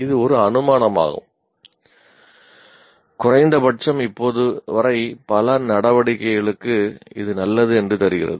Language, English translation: Tamil, This is an assumption made and at least still now that seems to hold good for many activities